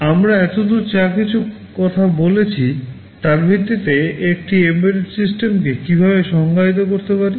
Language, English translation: Bengali, Now, how can we define an embedded system based on whatever we talked about so, far